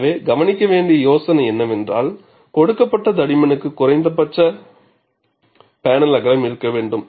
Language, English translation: Tamil, So, the idea to notice, for a given thickness, there has to be a minimum panel width